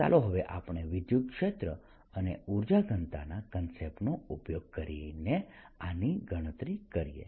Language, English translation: Gujarati, let us now calculate this using the electric field and the concept of [vocalized noise] energy density